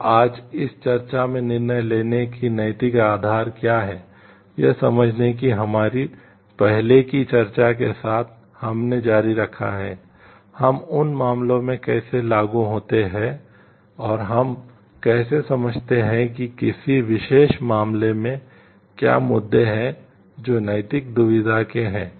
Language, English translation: Hindi, So, in this discussion today; we have continued with our earlier discussion of understanding what are the ethical pillars of decision making; how we apply that in cases and how we understand the what are the issues in a particular case the which are of ethical dilemma